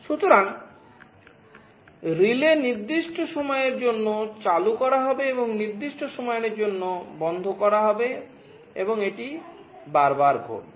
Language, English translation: Bengali, So, the relay will be turned ON for certain time and turned OFF for certain time, and this will happen repeatedly